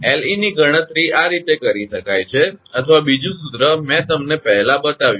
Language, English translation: Gujarati, So, Le can be calculated this way or another formula I showed you just before right